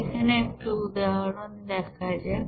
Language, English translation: Bengali, Let us do another example